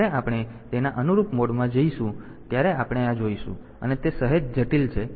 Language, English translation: Gujarati, So, we will see this when we go into that corresponding mode to it is slightly complex